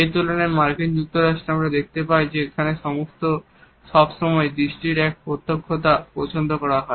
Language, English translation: Bengali, In comparison to that in the USA we find that a directness of the gaze is always preferred